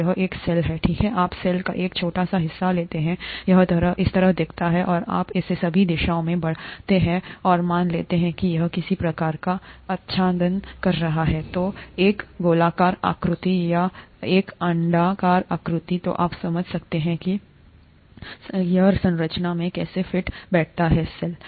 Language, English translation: Hindi, This is a cell, right, you take a small part of the cell, it look like this, and if you extend it in all directions and assume that it is covering some sort of let us say, a spherical shape or an oval shape, then you can understand how this fits in into the structure of the cell, right